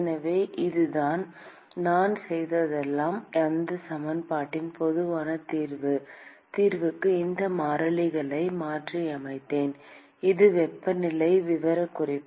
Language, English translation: Tamil, So, that is the all I have done is I have just substituted these constants into the general solution of that equation; and this is the temperature profile